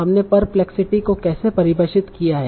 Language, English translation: Hindi, So how did we define perplexity